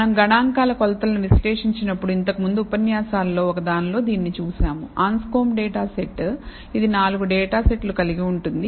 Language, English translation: Telugu, We have seen this before in the when we analyzed statistical measures in one of the lectures, the Anscombe data set is consists of 4 data sets